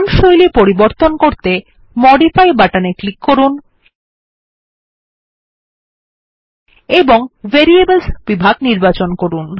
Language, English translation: Bengali, To modify the font style, click on the Modify button and choose the category Variables